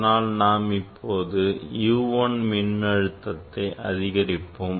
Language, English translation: Tamil, 2 volt and it might continue this is U 1 voltage U 1